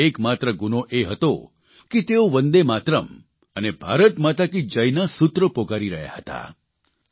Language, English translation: Gujarati, Their only crime was that they were raising the slogan of 'Vande Matram' and 'Bharat Mata Ki Jai'